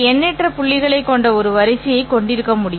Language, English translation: Tamil, It is possible to have a sequence that consists of an infinite number of points